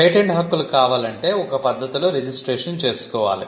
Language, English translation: Telugu, Patent Rights, you need to go through a process of registration